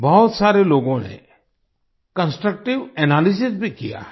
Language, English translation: Hindi, Many people have also offered Constructive Analysis